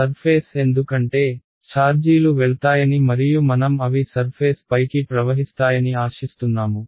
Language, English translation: Telugu, On the surface because, we expect charges will go and flow to the surface they will not